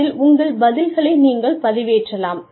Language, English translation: Tamil, You could upload your responses